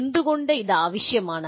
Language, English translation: Malayalam, Why is this necessary